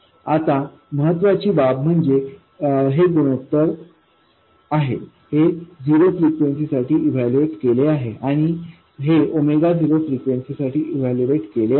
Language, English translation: Marathi, So, now the important thing is that this is a ratio but this is evaluated at zero frequency and this is evaluated at a frequency of omega not